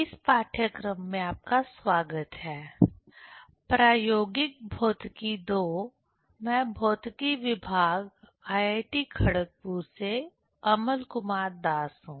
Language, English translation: Hindi, You are welcome to the course: Experimental Physics II, I am Amal Kumar Das from Department of Physics, IIT Kharagpur